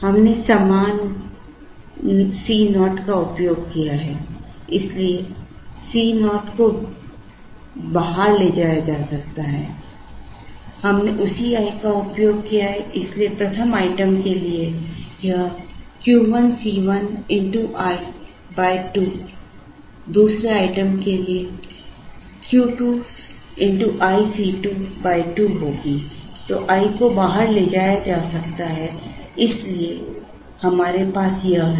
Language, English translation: Hindi, We have used the same C naught so C naught can be taken outside, we have used the same i so for the 1st item it is Q 1 C 1 by 2 into i for the 2nd item it is Q 2 into i C 2 divided by 2